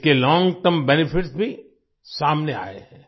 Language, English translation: Hindi, Its long term benefits have also come to the fore